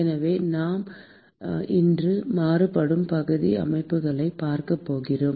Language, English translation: Tamil, So, today we are going to look at the Varying Area Systems